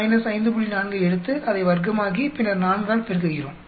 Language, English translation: Tamil, 4, square it up and then multiply by 4